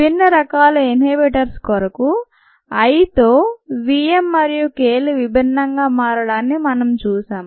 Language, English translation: Telugu, you have seen that v m and k m change differently with i for different types of inhibitions